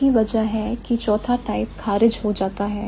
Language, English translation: Hindi, That is the reason why the fourth type is ruled out, right